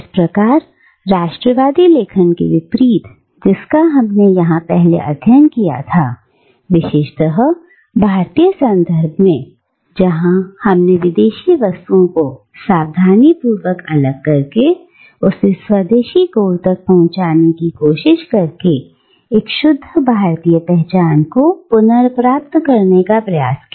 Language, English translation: Hindi, Thus, unlike the nationalist writings that we had studied before, in the Indian context, where we saw the attempt to recover a pure Indian identity by carefully separating out what is foreign, and by trying to reach at the indigenous core